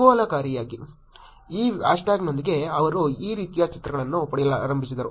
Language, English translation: Kannada, Interestingly, with this hash tag they started getting pictures like this